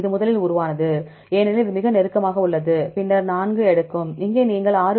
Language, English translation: Tamil, This evolved first because it is very close, then this will takes 4 and here you take 6